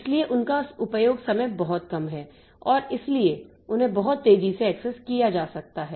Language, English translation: Hindi, So, their access time is pretty low and so they can be accessed very fast